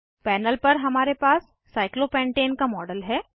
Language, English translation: Hindi, We have a model of cyclopentane on the panel